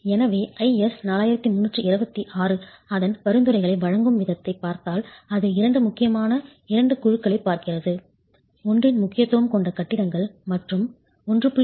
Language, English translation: Tamil, So if you look at the way IS 4326 provides its recommendations, it looks at two important two groups, buildings with an importance factor of one and buildings with an importance factor of 1